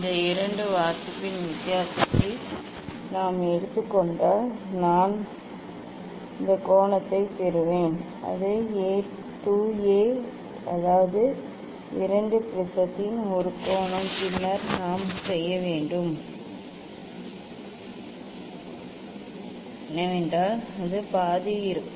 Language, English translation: Tamil, if we take the difference of these two reading then I will get this angle and that is 2 A; that is 2 A angle of the prism will be then half of it experimentally what we have to do